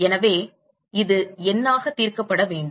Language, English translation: Tamil, So, this has to be solved numerically